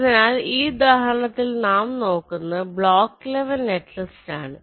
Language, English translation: Malayalam, so this was the example block level netlist